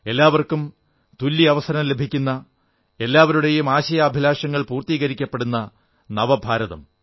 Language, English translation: Malayalam, In the New India everyone will have equal opportunity and aspirations and wishes of everyone will be fulfilled